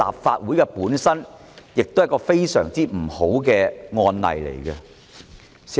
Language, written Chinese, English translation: Cantonese, 這會成為立法會非常不好的案例。, This will become a very bad precedent for the Legislative Council